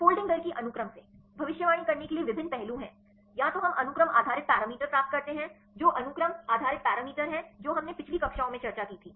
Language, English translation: Hindi, So, how can we relate these properties with the folding rate right, there are various aspects to predict the folding rate from the sequence; either we get the sequence based parameters right what are sequence based parameters we discussed in the earlier classes